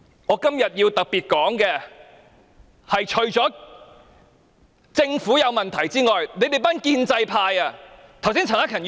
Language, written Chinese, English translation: Cantonese, 我今天要特別指出，除了政府有問題之外，建制派也有責任。, I have to specifically point out that apart from the problems with the Government the pro - establishment camp should also take the blame